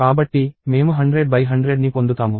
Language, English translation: Telugu, So, I would get 100 on 100